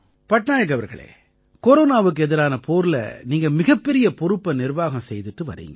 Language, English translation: Tamil, Patnaik ji, during the war against corona you are handling a big responsibility